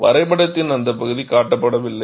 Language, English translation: Tamil, That portion of the graph is not shown